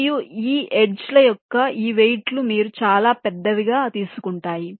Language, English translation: Telugu, and this weights of these edges you would take as very large